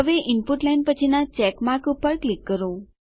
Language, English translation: Gujarati, Now click on the check mark next to the Input line